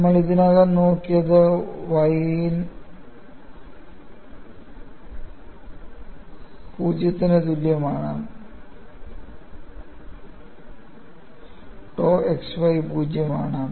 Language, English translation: Malayalam, And we have already looked at, on the y equal to 0, tau xy is 0